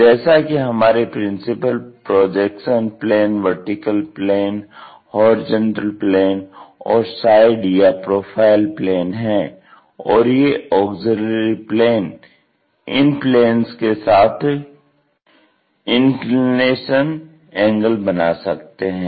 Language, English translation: Hindi, So, our principle projection planes are always be vertical plane, horizontal plane and side or profile plane and these auxiliary planes may make an inclination angle with them